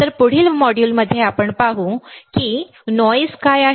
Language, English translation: Marathi, So, in the next module, let us see, what is noise